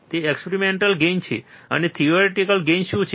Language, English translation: Gujarati, That is the experimental gain and what is the theoretical gain